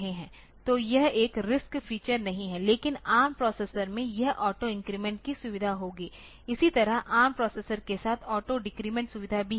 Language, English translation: Hindi, So, it is not a RISC feature, but this ARM processors it will have these auto increment feature, similarly auto decrement feature is also there with the ARM processor